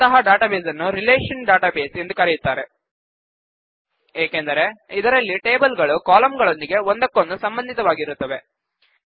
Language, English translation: Kannada, Such a database is also called a relational database where the tables have relationships with each other using the columns